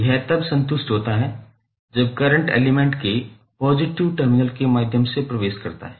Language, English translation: Hindi, It is satisfied when current enters through the positive terminal of element